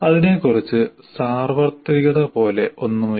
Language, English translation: Malayalam, So there is nothing like universality about it